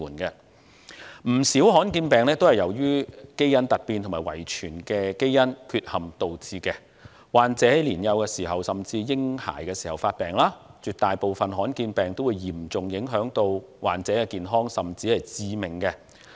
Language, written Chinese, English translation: Cantonese, 不少罕見疾病也是由基因突變和遺傳基因缺陷導致，患者在年幼甚至嬰孩時期發病，絕大部分的罕見疾病均嚴重影響患者的健康，甚或致命。, Not a few rare diseases are attributed to genetic mutations or genetic defects and the onset can be in the early childhood or even infancy of patients . A large majority of rare diseases will seriously affect the health and even cost the lives of patients